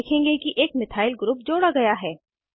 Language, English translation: Hindi, You will notice that a Methyl group has been added